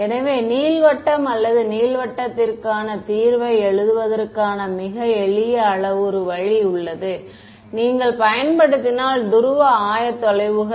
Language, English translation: Tamil, So, there is a very simple parametric way of writing down the solution to an ellipse or ellipsoid, if you just use polar coordinates ok